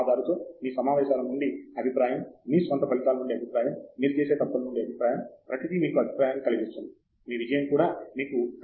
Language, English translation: Telugu, Feedback from your meetings with the advisor, feedback from your own results, feedback from the mistakes that you make; everything, even your success gives you a feedback, everything